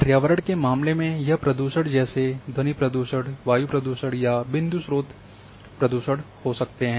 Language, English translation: Hindi, Environmental like in case of pollution may be noise pollution, air pollution, point source pollution